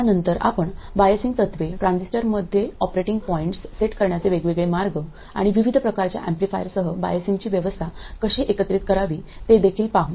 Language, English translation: Marathi, Then we will also look at biasing principles, different ways of setting up operating points in a transistor and also how to combine a variety of biasing arrangements with a variety of amplifiers